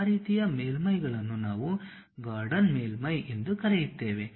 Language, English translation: Kannada, That kind of surfaces what we call Gordon surfaces